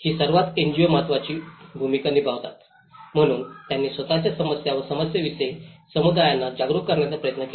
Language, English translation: Marathi, These were the most of the NGOs plays an important role, so they tried to make the communities aware of their own problems and the issues